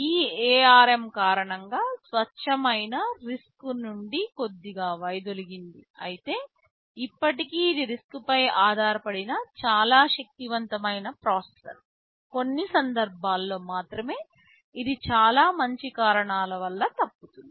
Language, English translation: Telugu, Because of these so ARM has deviated slightly from the pure RISC you can say category, but still it is a fairly powerful processor mostly based on riscRISC, only for a few cases it deviates because of very good reasons of course